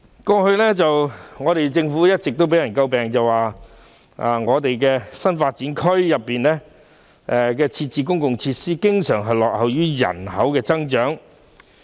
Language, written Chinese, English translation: Cantonese, 過去，政府一直被人詬病，指在新發展區內設置的公共設施，經常落後於人口的增長。, The Government has been criticized in the past that the public facilities in the new development areas NDAs usually lagged behind the growth of population in NDAs